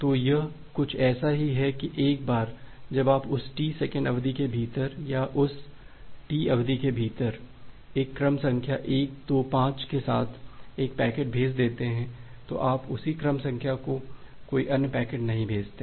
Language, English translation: Hindi, So, it is just like that once you have sent a packet with a sequence number 125 within that T second duration or within that T duration, you do not send any other packet with the same sequence number